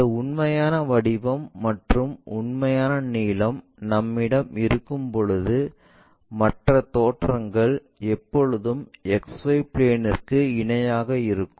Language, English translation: Tamil, Whenever we have this true shape, true lengths other views always be parallel to XY plane